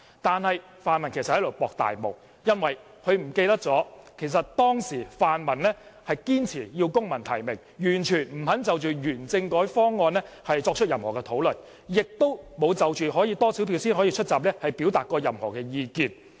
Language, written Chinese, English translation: Cantonese, 然而，他們其實是在"搏大霧"，因為他們忘記了泛民當時堅持要求公民提名，完全不肯就原政改方案作出任何討論，亦沒有就多少票才可以出閘表達任何意見。, Nevertheless the pan - democrats are really trying to take advantage of a confusing situation because they have forgotten that it was they who insisted on implementing civil nomination completely refused to discuss on the constitutional reform package and did not express any view on the number of votes required for a candidate to enter the stage of committee nomination